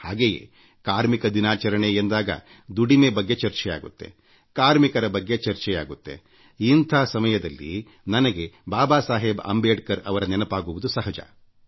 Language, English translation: Kannada, And when 'Labour Day' is referred to, labour is discussed, labourers are discussed, it is but natural for me to remember Babasaheb Ambedkar